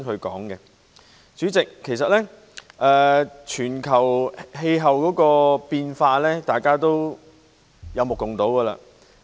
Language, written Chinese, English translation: Cantonese, 代理主席，全球氣候變化其實大家有目共睹。, Deputy President global climate change is indeed evident to all